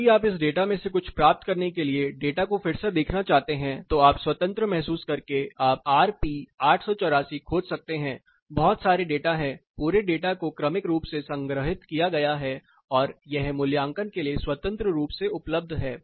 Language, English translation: Hindi, If you are interested to take a re look at the data derive something out of it, you can feel free you can search for RP 884; lot of data the whole setup data is sequentially stored and it is freely available for assessment